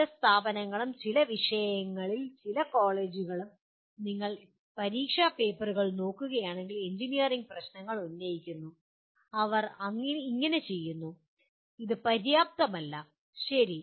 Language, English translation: Malayalam, Some institutions and some colleges in some subjects they do pose engineering problems in the if you look at the examination papers, they do so but not adequate, okay